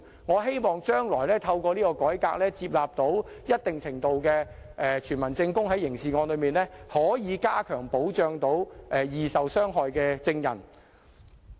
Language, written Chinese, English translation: Cantonese, 我希望將來透過這項改革，在處理刑事案時能在一定程度上接納傳聞證據，以加強保障易受傷害的證人。, I hope that through this reform hearsay evidence can be admitted to a certain extent in the handling of criminal cases in future so as to provide greater protection to vulnerable witnesses